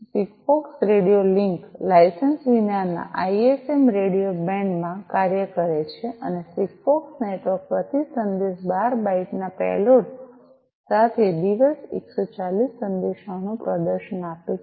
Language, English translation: Gujarati, SIGFOX radio link operates in the unlicensed ISM radio bands and the SIGFOX network gives a performance of up to 140 messages per day, with a payload of 12 bytes per message